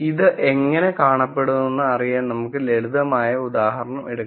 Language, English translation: Malayalam, Now let us take a simple example to see how this will look